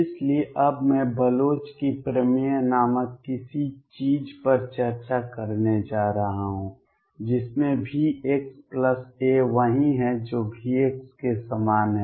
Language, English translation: Hindi, So, I am going to now discuss something called Bloch’s theorem in which case V x plus a is the same as V x